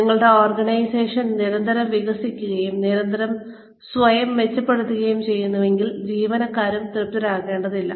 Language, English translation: Malayalam, If your organization is constantly evolving, and constantly improving itself, the employees will also not become complacent